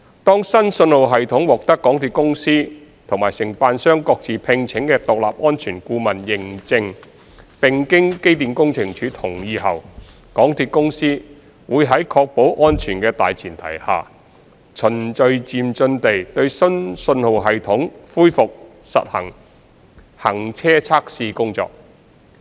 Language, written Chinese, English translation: Cantonese, 當新信號系統獲得港鐵公司和承辦商各自聘請的獨立安全顧問認證，並經機電署同意後，港鐵公司會在確保安全的大前提下，循序漸進地對新信號系統恢復實地行車測試工作。, When the new signalling system is being certified by the Independent Safety Assessors appointed respectively by MTRCL and the Contractor and with EMSDs endorsement MTRCL would under the premise of ensuring safety gradually resume on - site train testing on the new signalling system